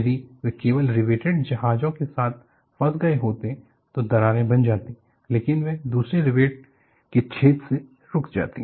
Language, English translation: Hindi, If they had stuck only with riveted ships, cracks would have formed, but they would have got stopped in another rivet hole